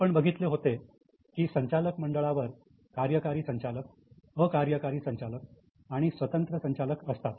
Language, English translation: Marathi, We have just discussed that on the board you have got executive directors, non executive directors and there are also independent directors